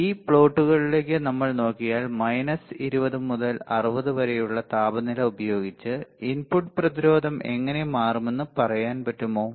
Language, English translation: Malayalam, Then we look at this plots we will understand with temperature from minus 20 to 60 how the input resistance will change